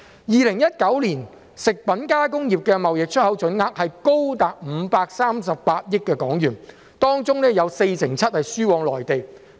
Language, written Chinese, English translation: Cantonese, 2019年食品加工業的貿易出口總額高達538億港元，當中有四成七輸往內地。, In 2019 the total export value of the food processing industry was as high as HK53.8 billion of which 47 % were exported to the Mainland